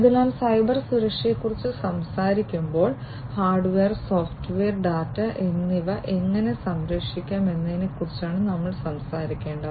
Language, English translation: Malayalam, So, when we are talking about Cybersecurity we need to talk about how to protect the hardware, how to protect the software and how to protect the data